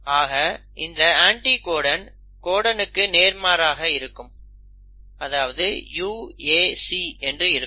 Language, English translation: Tamil, So the anticodon will be complimentary to the codon, which will, in this case will be UAC